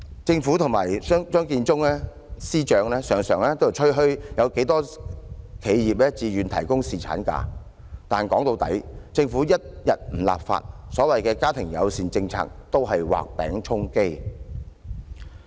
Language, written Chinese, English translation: Cantonese, 政府及張建宗司長常常吹噓有多少企業自願提供侍產假，但說到底，政府一天不立法，所謂"家庭友善政策"都只是畫餅充飢。, The Government and Chief Secretary Matthew CHEUNG have very often bragged about the number of enterprises which provide paternity leave for their employees voluntarily . But in the end without the Governments enactment of legislation the so - called family - friendly policies can only be placebos